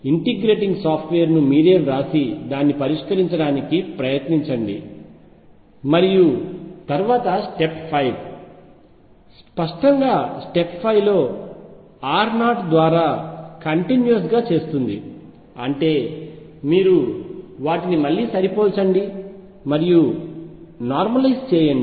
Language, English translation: Telugu, Try to write the integrating software yourself and solve it and then after this step 5; obviously, yes then step 5 make u continuous through r naught; that means, you match them again and normalize